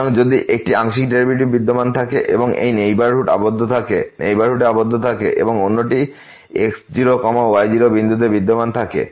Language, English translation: Bengali, So, if one of the partial derivatives exist and is bounded in this neighborhood and the other one exist at this point